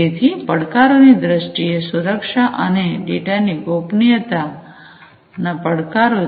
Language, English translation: Gujarati, So, in terms of the challenges; security and data privacy, challenges are there